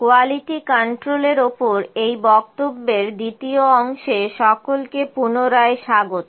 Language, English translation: Bengali, Welcome back to the second part of lecture on the Quality Control